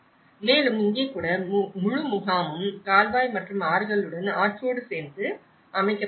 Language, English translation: Tamil, And even here, the whole camp have set up along with the river along with the canal and the rivers